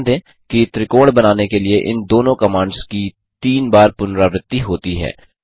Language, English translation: Hindi, Note that these two commands are repeated thrice to draw a triangle